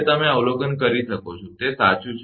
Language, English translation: Gujarati, You can observe, that right